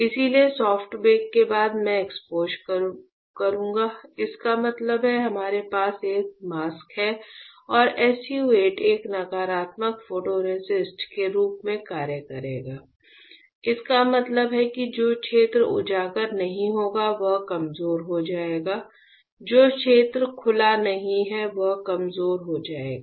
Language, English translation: Hindi, So, after soft bake I will perform exposure and exposure; that means, we have a mask; we have a mask and SU 8 will act as a negative photoresist; that means, the area which is not exposed will get weaker; area which is not exposed will get weaker